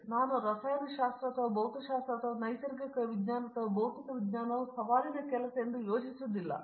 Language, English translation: Kannada, So, I don’t think the chemistry or even physics or even natural sciences or physical science is a challenging job